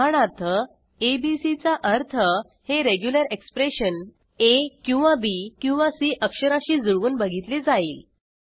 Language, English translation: Marathi, [abc] would mean that this regular expression matches either a or b or c